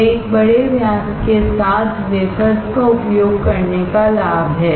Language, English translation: Hindi, That is the advantage of using the wafers with a larger diameter